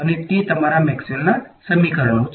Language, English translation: Gujarati, So, those are your Maxwell’s equations right